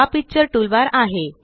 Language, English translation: Marathi, This is the Picture toolbar